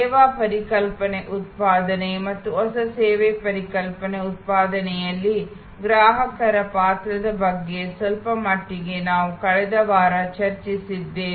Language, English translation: Kannada, To some extent we have discussed about the service concept generation and the role of the customer in new service concept generation, last week